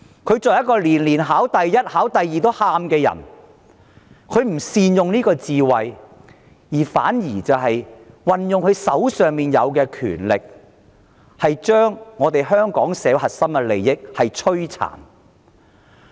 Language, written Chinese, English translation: Cantonese, 她是一個年年考第一名，連考第二名也會哭的人，但她未有善用智慧，反而運用手上的權力，把香港社會的核心利益摧殘。, She was the top student almost every year who even broke into tears when she came second . But instead of giving full play to her wisdom she has dealt a severe blow to the core interest of our society with the powers in her hands